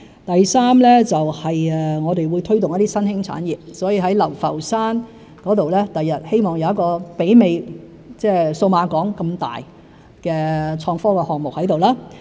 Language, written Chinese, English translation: Cantonese, 第三，我們會推動一些新興產業，希望未來在流浮山有一個規模媲美數碼港的創科項目。, Thirdly we will foster the development of emerging industries in the hope that an IT project with a scale comparable to Cyberport can be built in Lau Fau Shan